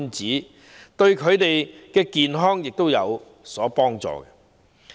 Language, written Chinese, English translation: Cantonese, 這樣對他們的健康有好處。, It would be beneficial to their health